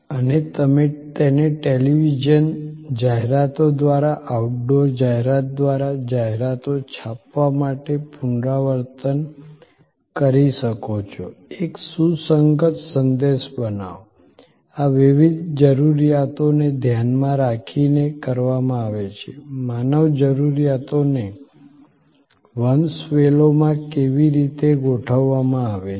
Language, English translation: Gujarati, And you can repeat that through television ads, through outdoor advertising, to print ads; create a consistent message this is to be done keeping in mind, the various needs how the human needs are arranged in a hierarchy